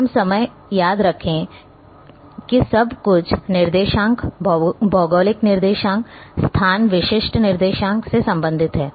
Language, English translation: Hindi, Remember all the time everything is related with coordinates, geographic coordinates location specific coordinates